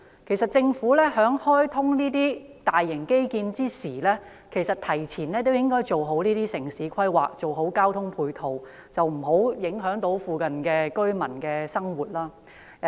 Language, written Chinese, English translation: Cantonese, 其實，這些大型基建開通之前，政府應該提前做好規劃及交通配套，避免附近居民的生活受到影響。, In fact before the commissioning of these large - scale infrastructure projects the Government should have done a better job of planning and provision of ancillary transport facilities to avoid affecting the lives of nearby residents